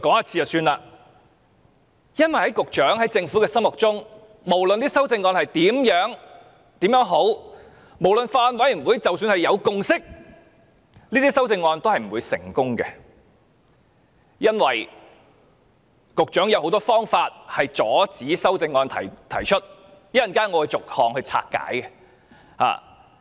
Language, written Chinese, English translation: Cantonese, 這是因為在局長和政府的心中，無論修正案有多好，即使法案委員會有共識，這些修正案都不會通過，局長亦有很多方法阻止修正案在立法會提出，稍後我會逐項拆解。, It is because the Secretary and the Government know only too well that these amendments cannot be passed no matter how good they are or even if a consensus has been reached in the Bills Committee . There are also many ways that the Secretary can thwart the amendments to be introduced in this Council which I will explain one by one in due course